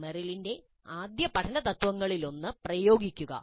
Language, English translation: Malayalam, Apply is one of the first learning principles of Meryl